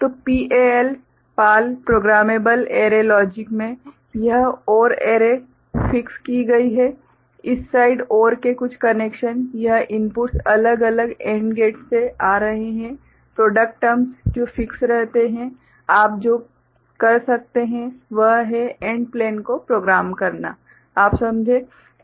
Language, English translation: Hindi, So, in PAL Programmable Array Logic, this OR array is fixed, this side certain connections of the OR these inputs coming from different AND gates, product terms that remain fixed, what you can do is, program the AND plane, program the AND plane, you get the point